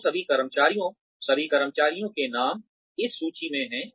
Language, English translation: Hindi, So, all the employees, the names of all the employees, are on this list